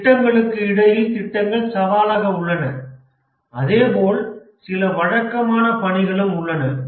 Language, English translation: Tamil, The projects as challenge as well as there are some routine tasks involved